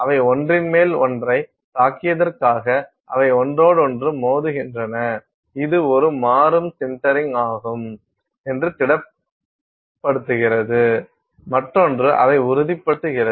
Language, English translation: Tamil, They just for hit one on top of the other, they sinter with respect to each other and this is sort of a dynamic sintering that is happening; one is solidifying the other hits it that is also solidifying